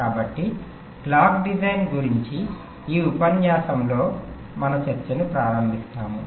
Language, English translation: Telugu, ok, so we start our discussion in this lecture about clock design